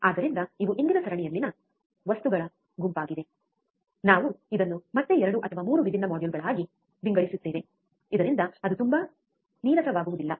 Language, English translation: Kannada, So, these are the set of things in today's series, we will again divide these into 2 or 3 different modules so that it does not become too boring